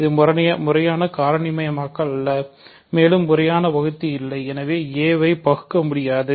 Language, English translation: Tamil, So, this is not a proper factorization, and a has no proper divisors, hence a has no proper divisors, so a is irreducible